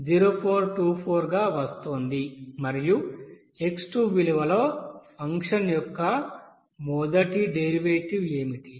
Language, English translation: Telugu, 0424 and then what should be the first derivative of that function at this x2 value